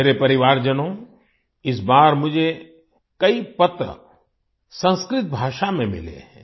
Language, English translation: Hindi, My family members, this time I have received many letters in Sanskrit language